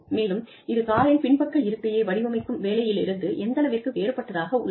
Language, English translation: Tamil, And, how is that different from, the job of designing the backseat of the car